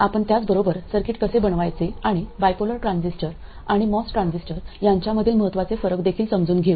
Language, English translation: Marathi, We see how to make circuits with them and also understand key differences between bipolar transistors and MOS transistors